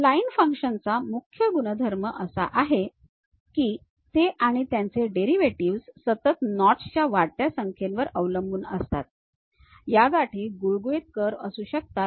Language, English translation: Marathi, The key property of spline functions is that they and their derivatives may be continuous depending on the multiplicity of knots, how complicated these knots we might be having smooth curves